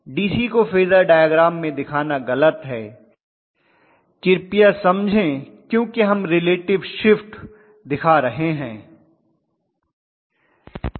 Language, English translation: Hindi, It is wrong to show a DC in phasor diagram please understand because we are showing relative shifts, right